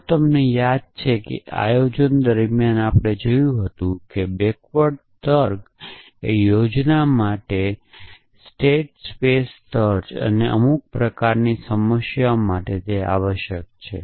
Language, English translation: Gujarati, So, if you remember as you saw during planning, backward reasoning, backward state space search for planning and into some kind of problems essentially